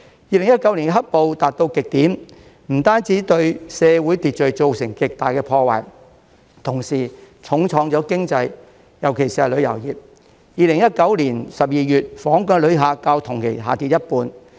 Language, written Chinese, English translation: Cantonese, 2019年"黑暴"達到極點，不但對社會秩序造成極大破壞，同時重創經濟，尤其是旅遊業 ，2019 年12月，訪港遊客較去年同期下跌一半。, In 2019 the black - clad violence reached its peak not only wreaking havoc on social order but also causing great damage to the economy especially the tourism industry with tourist arrivals dropping by half in December 2019 compared to the same period last year